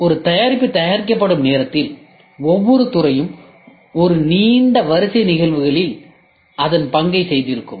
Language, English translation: Tamil, By the time a product is produced, each department would have performed its role in a long sequence of events, leading to a production of a new product